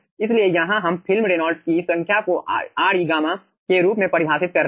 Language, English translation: Hindi, so here we are defining film reynolds number as re gamma